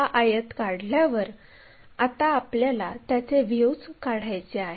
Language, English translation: Marathi, Once this rectangle is constructed, we want views of that